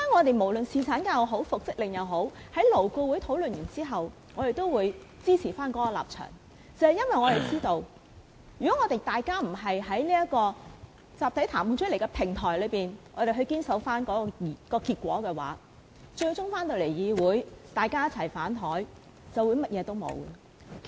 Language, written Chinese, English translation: Cantonese, 不論是侍產假也好、復職令也好，在勞顧會討論後，我們都會堅守我們的立場，因為我們知道，如果大家不堅守在集體談判的平台上取得的結果，在議會上"反檯"，便甚麼都沒有了。, No matter it is about paternity leave or an order for reinstatement after the issue has been discussed by LAB we will hold tight to our position because we know that if we do not stand firm and adhere to the result reached through the platform of collective bargaining all our efforts will be futile if a dispute is arisen in the Council